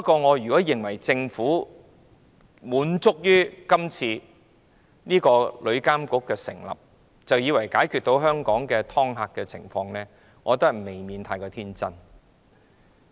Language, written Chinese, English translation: Cantonese, 我認為如果政府滿足於成立旅監局，以為這樣便可解決香港的"劏客"情況，未免過於天真。, If the Government is complacent with the establishment of TIA thinking that the problem of ripping off customers in Hong Kong will be resolved I think it is just too naïve